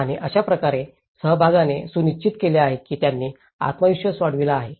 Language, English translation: Marathi, And that is how the participation have ensured that they have taken the self esteem forward